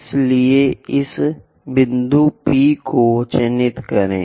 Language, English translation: Hindi, So, mark this point P 2